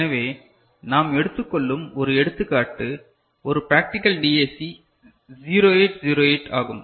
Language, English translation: Tamil, So, one example we take up is a practical DAC 0808